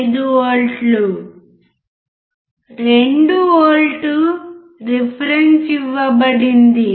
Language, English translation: Telugu, 5 volts, 2V reference that is the given